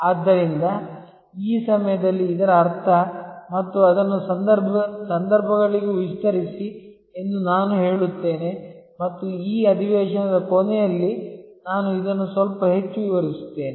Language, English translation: Kannada, So, which means this time and I would say expand it also to the contexts and I will explain this a little bit more toward the end of this session